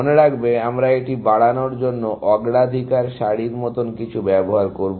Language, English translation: Bengali, Remember, that we will use something like a priority queue to increment this